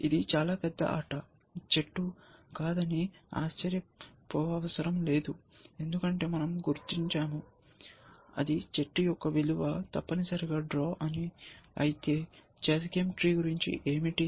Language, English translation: Telugu, It is a very, not a very large game tree essentially, which is not surprising, because we have figure out by now, that it is the value of the tree is a draw essentially, what about the chess game tree